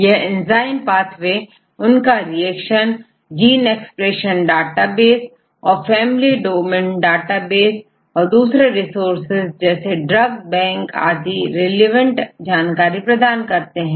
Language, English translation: Hindi, They give the enzyme in pathways, where they have this reaction and gene expression databases right and family domain database and as well as the other resources, for example, the drug bank and other resources